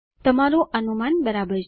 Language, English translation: Gujarati, Your guess is right